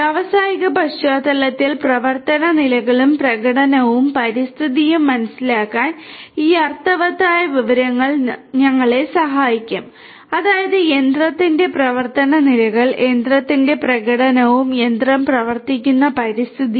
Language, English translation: Malayalam, This in meaningful information will help us to understand the operational states, the performance and the environment in the industrial setting; that means, the operational states of the machine, the performance of the machine and the environment in which the machine operates